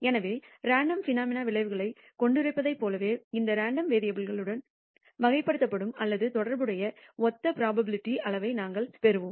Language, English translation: Tamil, So, just as we had a probability measure to characterize outcomes of random phenomena, we will have a similar probability measure that characterizes or is associated with this random variable